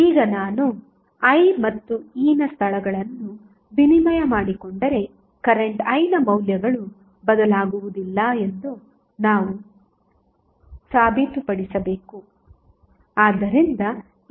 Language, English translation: Kannada, Now, we have to prove that if you exchange value of, sorry, the location of I and E the values of current I is not going to change